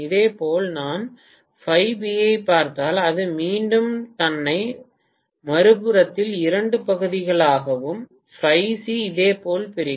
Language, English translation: Tamil, Similarly, if I look at phi B it will again divide itself into two halves on the other side and phi C similarly